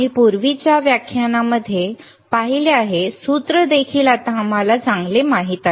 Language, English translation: Marathi, We have seen in the earlier lectures, the formula also now we know very well